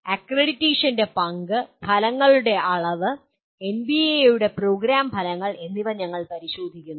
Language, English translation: Malayalam, Then we look at role of accreditation, levels of outcomes, program outcomes of NBA